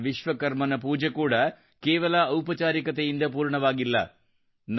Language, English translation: Kannada, The worship of Bhagwan Vishwakarma is also not to be completed only with formalities